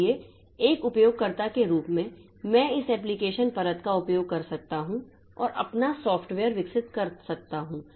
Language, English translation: Hindi, And again, so as a user, so I can use this application layer and develop my software